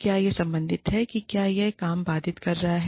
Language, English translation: Hindi, Is it related to, is it disrupting the work